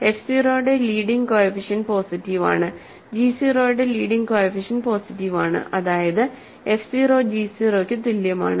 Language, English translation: Malayalam, So, leading coefficient of f 0 is positive, leading coefficient of g 0 is positive that means, f 0 is equal to g 0